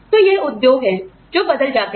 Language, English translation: Hindi, So, these are the industries, that get replaced